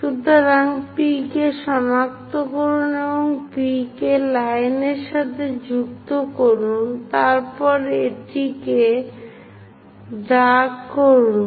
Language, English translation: Bengali, So, locate 90 degrees, join P with line and after that darken it